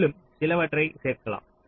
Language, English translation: Tamil, you can add some more